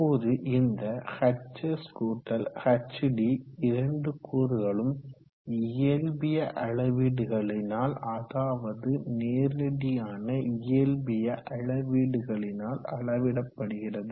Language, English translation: Tamil, Now these two components hs+hd are determinable from physical measurements, direct physical measurements